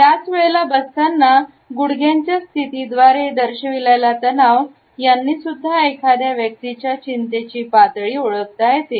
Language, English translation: Marathi, At the same time, the tension which is exhibited through the positioning of the knees etcetera also discloses a lot about the anxiety level a person might be feeling